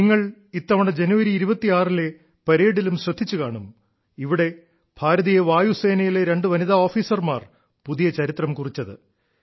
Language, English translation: Malayalam, You must have also observed this time in the 26th January parade, where two women officers of the Indian Air Force created new history